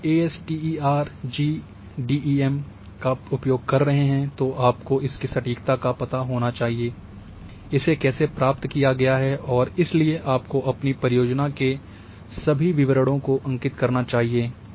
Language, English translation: Hindi, So, if you are using say this ASTER GDEM you must know that what is the accuracy of ASTER GDEM, how it has been acquired and therefore you must record all those details of your project